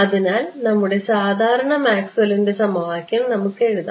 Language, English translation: Malayalam, So, let us just write down our usual Maxwell’s equation right